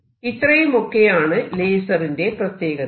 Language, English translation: Malayalam, So, these are special properties of lasers